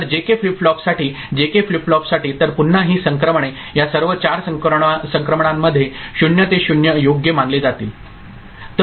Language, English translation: Marathi, So, for JK flip flop for JK flip flop, so again this transitions, all this 4 transitions are to be considered so 0 to 0 right